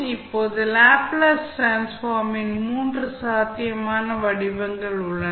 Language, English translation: Tamil, Now, there are three possible forms of the trans, the Laplace transform